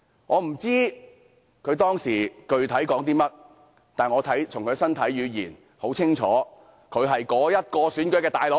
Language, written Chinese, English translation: Cantonese, 我不知道他當時具體說了些甚麼，但我從他們的身體語言清楚看出，他就是選舉的"老大哥"。, I did not know what exactly he had said at the time but I clearly saw from their body language that he was the Big Brother in the elections